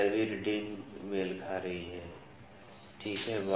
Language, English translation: Hindi, The 15th reading is coinciding, ok